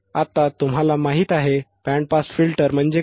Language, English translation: Marathi, Now you know, what areare band pass filters